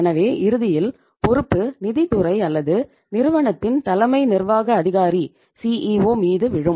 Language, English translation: Tamil, So ultimately the onus will be on the finance department or on the CEO of the firm